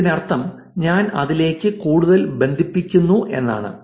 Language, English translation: Malayalam, This means that I am connecting to lot more